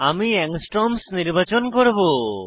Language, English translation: Bengali, For example, I will choose Angstrom